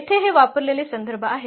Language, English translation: Marathi, So, these are the reference used here